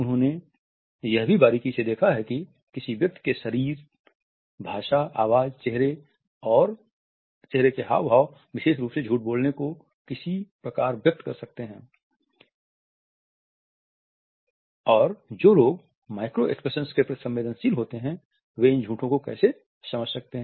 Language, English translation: Hindi, He has also looked closely as how an individual's body language, voice, facial expressions in particular can give away a lie and people who are sensitive to the micro expressions can understand these lies